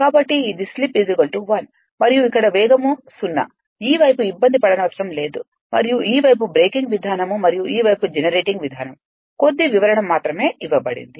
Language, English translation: Telugu, So, it is one and here speed is 0 this side need not bother and this side breaking mode and this side is generating mode a little bit explanation only will be given and that is all right